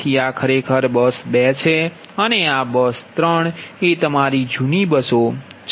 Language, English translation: Gujarati, so this are actually bus two and bus three are the old bus, right to your old buses